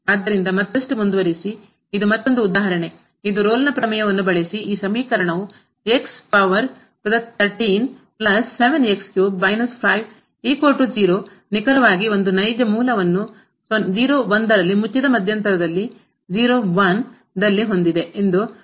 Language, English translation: Kannada, So, moving further this is another example which says the using Rolle’s Theorem show that the equation this x power 13 plus 7 x power 3 minus 5 is equal to 0 has exactly one real root in [0, 1], in the closed interval [0, 1]